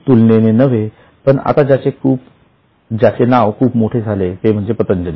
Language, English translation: Marathi, For example, relatively new but which has taken a big name is Patanjali